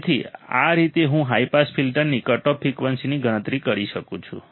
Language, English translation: Gujarati, So, this is how I can calculate the cutoff frequency of the high pass filter